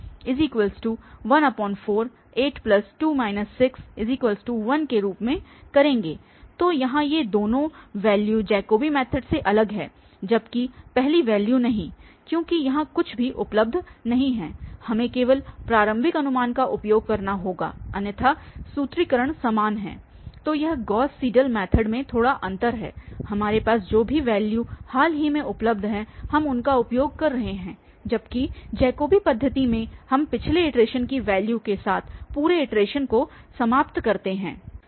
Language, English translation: Hindi, So, these are, these two values are different then the Jacobi method whereas the first value, because here nothing is available we have to use the initial guess only, otherwise the formulation is same, so that is the slight difference that in Gauss Seidel method we are using whatever we have available recently evaluated values available with us, whereas in Jacobi method we finish the complete iteration with the values from the previous iteration